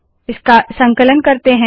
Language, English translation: Hindi, We compile it